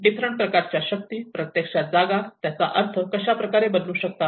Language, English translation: Marathi, How different forces can actually alter and transform the space and it can also tend to shift its meanings